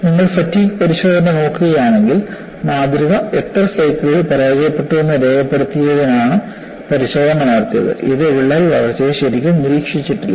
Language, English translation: Malayalam, If you recall, if you look at the fatigue test, the test was conducted to record after how many cycles the specimen has failed; it has not really monitored the crack growth